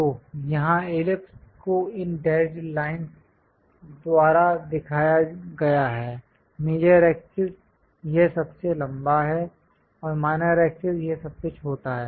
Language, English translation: Hindi, So, here ellipse is shown by these dashed lines; the major axis is this longest one, and the minor axis is this shortest one